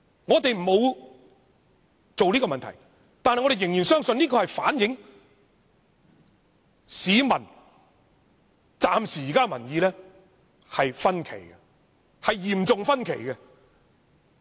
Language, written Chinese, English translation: Cantonese, 我們沒有這樣問，但我們仍然相信調查結果反映暫時而言，民意有所分歧，民意是嚴重分歧的。, Even though we did not ask such a question we still believe the findings can show that at this stage public opinions are divided seriously divided